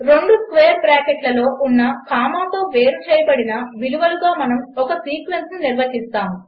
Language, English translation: Telugu, We define a sequence by comma separated values inside two square brackets